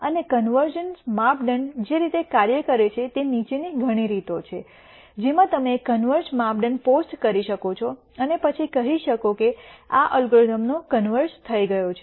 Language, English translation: Gujarati, And the way the convergence criteria works is the following there are many ways in which you could you could post a convergence criteria and then say this the algorithm has converged